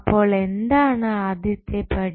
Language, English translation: Malayalam, So, what is the first step